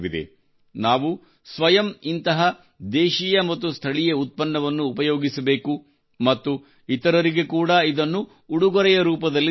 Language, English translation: Kannada, We ourselves should use such indigenous and local products and gift them to others as well